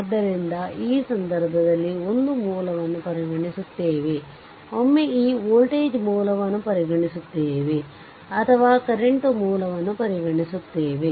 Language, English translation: Kannada, So, in that case what we what will do, will consider one source at a time, once will consider this voltage source or will consider the current source right